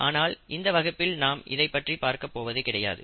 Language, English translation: Tamil, But that is not what we are going to talk about in this particular lecture